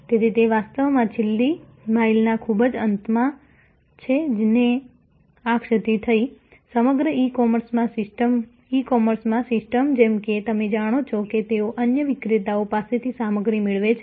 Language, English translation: Gujarati, So, it is actually at the very end at the last mile, this lapse occurred, the system as a whole in the e commerce as you know they procure stuff from other vendors